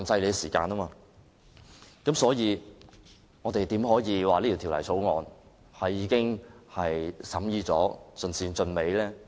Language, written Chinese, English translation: Cantonese, 在這情況下，我們怎可以說這項《條例草案》已完成審議，盡善盡美？, How can we say that the deliberation of the Bill had been completed to perfection?